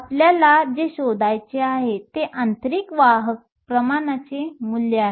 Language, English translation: Marathi, What we want to find is the value of the intrinsic carrier concentration